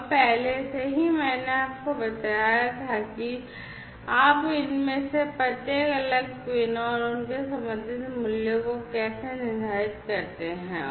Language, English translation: Hindi, And already I told you how you preset each of these different pins, you know, and their corresponding values